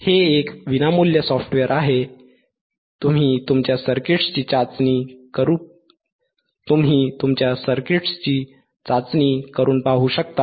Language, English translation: Marathi, tThis is a free software, this is a free software you can try and test your circuits, ground